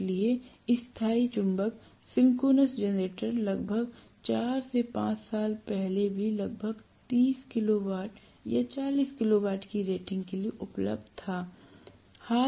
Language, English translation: Hindi, So Permanent Magnet Synchronous Generator until almost recently even before about 4 5 years ago there used to be available only for about 30 kilo watt or 40 kilo watt rating